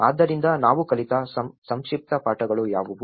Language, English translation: Kannada, So, what are the brief lessons we have learned